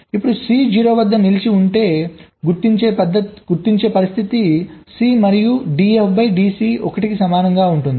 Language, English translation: Telugu, ok, now for c stuck at zero, the condition for detection will be c and d, f, d, c will be equal to one